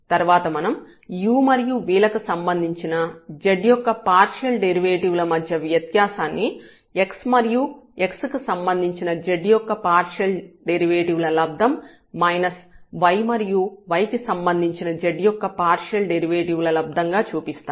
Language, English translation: Telugu, And, then we will show that this partial derivative the difference of this partial derivative here with respect to u and v can be written as x partial derivative of z with respect to x minus the partial derivative of z with respect to y